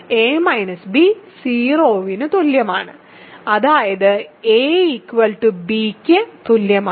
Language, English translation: Malayalam, So, a minus b is equal to 0; that means, a minus b equal to 0